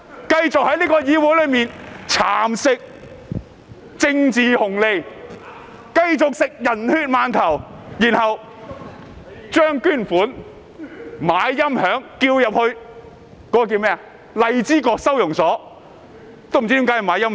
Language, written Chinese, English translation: Cantonese, "，繼續在議會裏蠶食"政治紅利"、"人血饅頭"，然後用捐款來購買音響，說要送去荔枝角收押所。, from afar continued to reap political bonus in the Council and ate steamed buns dipped in human blood . Then they spent the donations on audio equipment for sending to the Lai Chi Kok Reception Centre